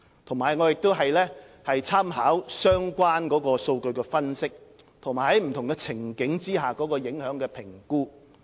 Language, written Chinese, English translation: Cantonese, 我們亦會參考相關的數據分析，以及不同情境下的影響評估。, We will also make reference to the findings of the relevant data analyses and impact assessment results under different scenarios